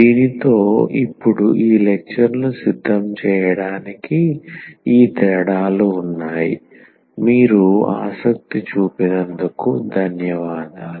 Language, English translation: Telugu, So, with this, now we have these differences used for preparing this lectures and Thank you for your attention